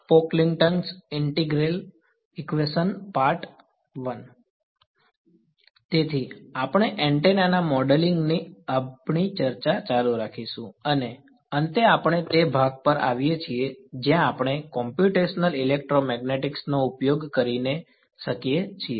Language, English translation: Gujarati, Right so, we will a continue with our discussion of the modeling of an antenna and we finally come to the part where we get to use Computational Electromagnetics right